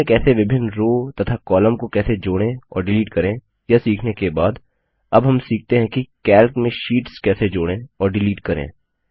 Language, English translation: Hindi, After learning about how to insert and delete multiple rows and columns in a sheet, we will now learn about how to insert and delete sheets in Calc